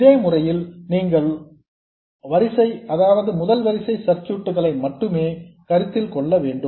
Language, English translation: Tamil, This way you will only have to consider first order circuits